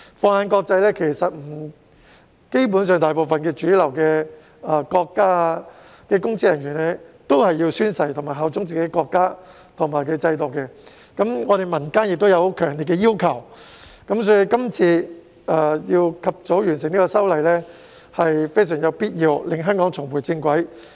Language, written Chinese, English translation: Cantonese, 放眼國際，基本上大部分主流國家的公職人員也須宣誓效忠國家及制度，本港民間亦有強烈要求，所以，及早完成這次修例工作是有必要的，從而讓香港重回正軌。, Looking around the world basically public officers of most mainstream countries are also required to swear allegiance to their countries and systems . There are also strong calls from the Hong Kong community . Therefore it is necessary to complete the present legislative amendment exercise expeditiously in order to bring Hong Kong back on the right track